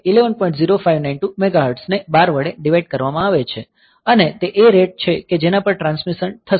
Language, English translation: Gujarati, 0592 mega hertz that divided by 12 that is the rate at which the transmission will take place